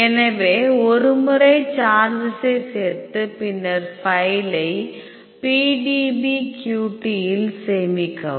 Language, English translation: Tamil, So, once you have added the charges then file save PDBQT